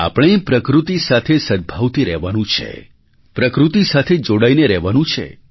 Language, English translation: Gujarati, We have to live in harmony and in synchronicity with nature, we have to stay in touch with nature